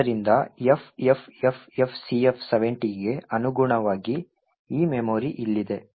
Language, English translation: Kannada, So, corresponding to FFFFCF70 is this memory over here